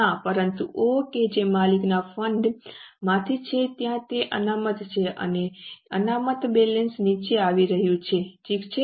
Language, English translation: Gujarati, But O, that is from the owner's fund there is a reserve, that reserve balance is coming down